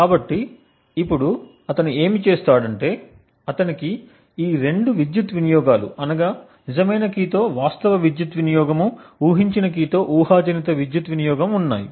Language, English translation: Telugu, So now what he does, he has, these two power consumptions, the actual power consumption with the real key and the hypothetical power consumption with the guessed key